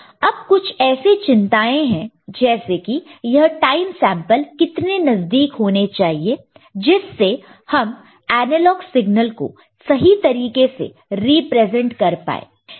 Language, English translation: Hindi, Now, there are concerns like how close these time samples will be to truthfully represent the analog signal